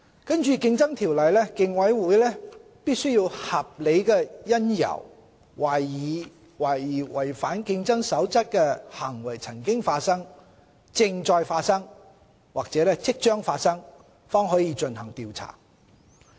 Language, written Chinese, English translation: Cantonese, 根據《競爭條例》，競委會必須有合理因由懷疑違反競爭守則的行為曾發生、正在發生或即將發生，方可進行調查。, Pursuant to the Competition Ordinance the Commission may only conduct an investigation if it has reasonable cause to suspect that a contravention of a competition rule has taken place is taking place or is about to take place